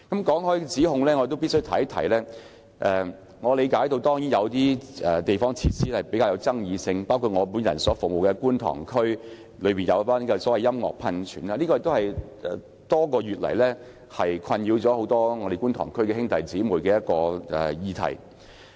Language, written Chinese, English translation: Cantonese, 關於有關指控，我理解某些地方設施比較具爭議性，包括我服務的觀塘區興建音樂噴泉的建議，這也是多個月以來，困擾很多觀塘區議員的議題。, Concerning the relevant accusations I understand that certain community facilities are relatively controversial including the proposed construction of a music fountain in Kwun Tong the district currently served by me . This subject has also troubled many Kwun Tong DC members for months . I wish to raise two points only